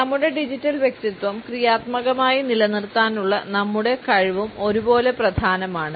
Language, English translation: Malayalam, And equally important is our capability to maintain our digital personality in a positive manner